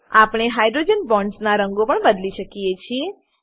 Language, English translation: Gujarati, We can also change the color of hydrogen bonds